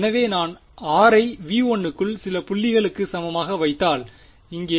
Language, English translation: Tamil, So, supposing I put r is equal to some point inside v 1 here